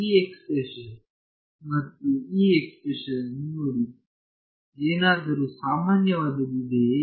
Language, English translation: Kannada, Look at this expression and this expression, is there something common